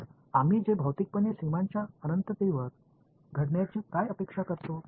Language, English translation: Marathi, So, what we physically expect to happen on the boundary s infinity